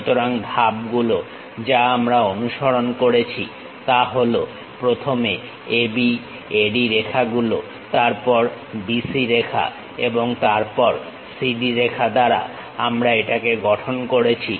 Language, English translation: Bengali, So, the steps what we have followed AB, AD lines then BC lines and then CD lines we construct it